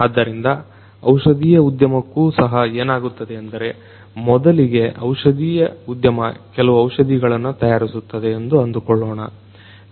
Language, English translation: Kannada, So, for the pharmaceutical industry also for you know first of all what happens is let us say that a pharmaceutical industry makes certain drugs right